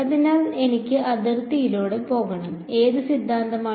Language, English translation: Malayalam, So, I want to go along the boundary so, which theorem